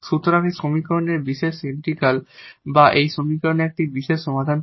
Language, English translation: Bengali, So, this is the particular integral of this equation, this is one particular solution of this equation